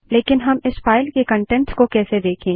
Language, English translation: Hindi, But how do we see the content of this file